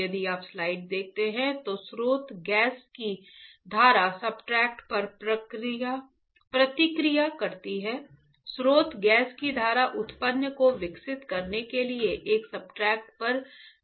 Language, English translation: Hindi, If you see the slide the stream of source gas reacts on substrate; stream of source gas reacts on a substrate to grow the product